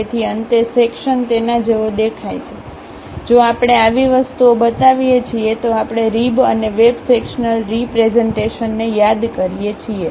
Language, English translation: Gujarati, So, finally, the section looks like that; if we are showing such kind of things, we call rib and web sectional representations